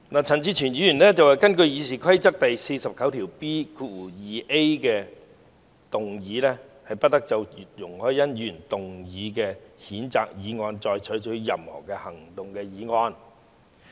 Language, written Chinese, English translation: Cantonese, 陳志全議員根據《議事規則》第 49B 條動議"不得就容海恩議員提出的譴責議案再採取任何行動"的議案。, Mr CHAN Chi - chuen moved a motion under Rule 49B2A of the Rules of Procedure that no further action shall be taken on the censure motion proposed by Ms YUNG Hoi - yan